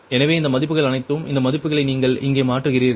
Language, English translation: Tamil, so all these values, all these values you substitute here, you substitute here right